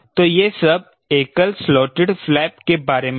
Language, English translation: Hindi, so this concept is used for single slotted flap